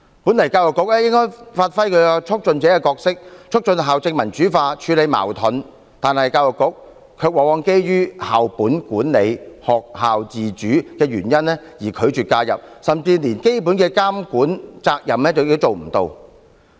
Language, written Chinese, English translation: Cantonese, 本來教育局應該發揮其促進者的角色，促進校政民主化、處理矛盾，但教育局卻往往基於校本管理、學校自主的原因而拒絕介入，甚至連基本的監管責任也做不到。, While the Education Bureau should have played its role as a facilitator facilitated the democratization of school administration and addressed conflicts it has instead actually refused to intervene on the pretext of school - based management and school autonomy . It has even failed to perform its fundamental regulatory functions